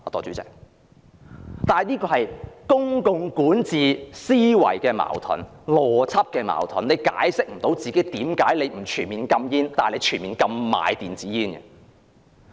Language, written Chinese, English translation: Cantonese, 這是公共管治思維邏輯的矛盾，她無法解釋為何不全面禁煙，但卻全面禁售電子煙。, This is inconsistent with the logic of public governance for she has failed to explain why a total ban is not imposed on smoking but only on e - cigarettes